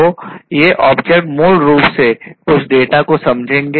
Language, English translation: Hindi, So, these objects basically will sense certain data